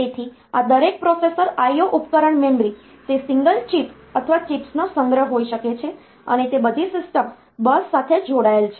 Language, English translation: Gujarati, So, each of this processor I/O device memory, they may be a single chip or a collection of chips and they are all connected to the system bus